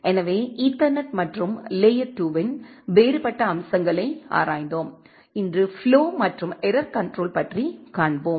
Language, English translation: Tamil, So, we have looked into ethernet and different other features of layer 2 and today we will see something on Flow and Error Control